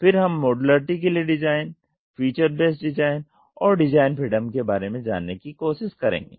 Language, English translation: Hindi, Then we will see design for modularity, feature based design and exploring design freedoms